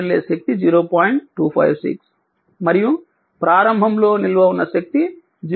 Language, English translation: Telugu, 256 and initial energy stored was 0